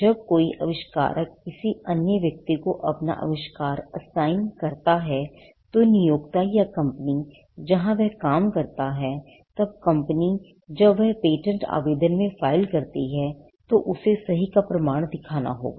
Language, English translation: Hindi, When an inventor assigns his invention to another person, say the employer or the company where he works, then the company, when it files in patent application, it has to show the proof of right